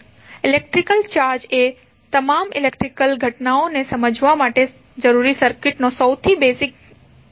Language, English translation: Gujarati, So, electric charge is most basic quantity of circuit required to explain all electrical phenomena